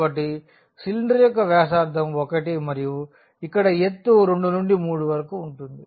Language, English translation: Telugu, So, the radius of the cylinder is 1 and the height here is from 2 to 3